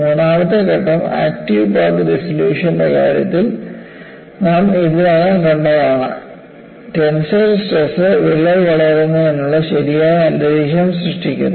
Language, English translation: Malayalam, And the third step is, we have already seen, in the case of active path dissolution; tensile stresses causes the correct environment for the crack to grow